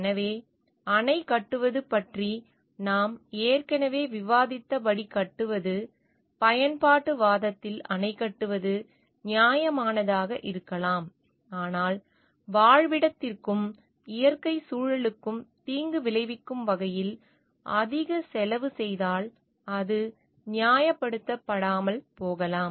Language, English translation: Tamil, So, building a as we have already discussed about the building the dam concept, building a dam in the utilitarianism may be justified, but if it costs a lot in terms of harming the habitat and the natural ecosystem, it may not be justified